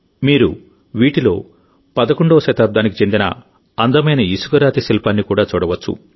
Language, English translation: Telugu, You will also get to see a beautiful sandstone sculpture of the 11th century among these